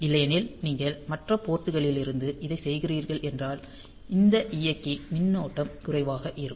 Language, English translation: Tamil, Otherwise if you are doing it for from other ports; so, this the drive current is limited